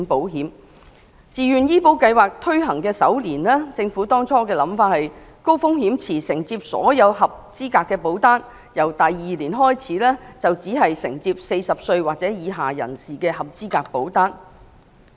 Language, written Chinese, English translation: Cantonese, 按照政府最初的構思，自願醫保計劃推行首年，高風險池將承接所有合資格保單，由第二年開始則只承接40歲或以下人士的合資格保單。, According to the preliminary plan of the Government HRP would accept all eligible policies in the first year upon the implementation of VHIS and would only accept eligible policies of those aged 40 or below starting from the second year